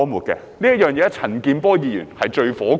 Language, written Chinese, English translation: Cantonese, 這一點，陳健波議員是最氣憤的。, Mr CHAN Kin - por is extremely angry about this point